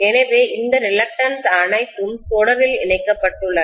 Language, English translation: Tamil, So I have all these reluctances connected in series